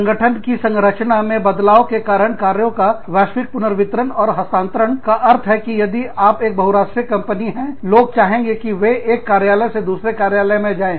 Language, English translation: Hindi, Global redistribution and relocation of work, due to changing organizational design mean, if you are a multinational company, people will want to move, from one office to another